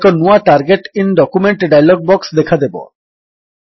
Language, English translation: Odia, A new Target in document dialog box appears